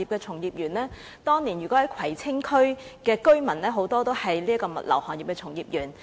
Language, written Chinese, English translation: Cantonese, 此外，當年很多葵青區居民是物流業的從業員。, Besides many residents of Kwai Tsing were practitioners in the logistics industry in the past